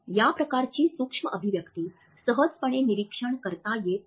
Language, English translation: Marathi, This type of micro expression is not easily observable